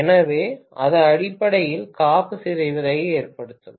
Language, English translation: Tamil, So, that is essentially going to cause rupturing of the insulation